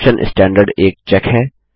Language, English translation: Hindi, The option Standard has a check